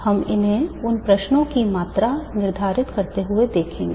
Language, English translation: Hindi, We will see them these questions quantified